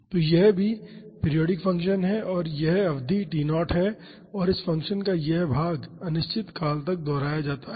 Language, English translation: Hindi, So, this is also a periodic function and this period is T naught and this portion of this function gets repeated indefinitely